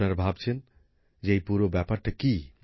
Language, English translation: Bengali, You must be wondering what the entire matter is